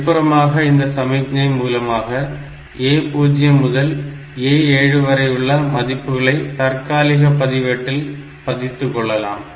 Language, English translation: Tamil, So, externally we can use this ALE signal to latch these values A 0 to A 7 into some temporary register